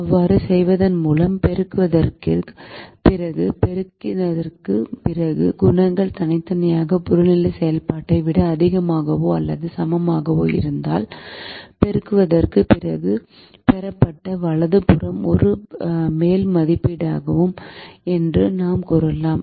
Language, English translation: Tamil, if the coefficients after multiplication are individually greater than or equal to that of the objective function, then we could say the right hand side obtained after the multiplication is an upper estimate